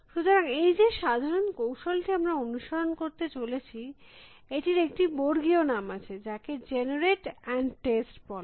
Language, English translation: Bengali, So, this general strategy that we are going to follow is has a generic name, which is called generate and test